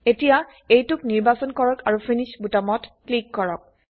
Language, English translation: Assamese, So now, let us select it and click on the Finish button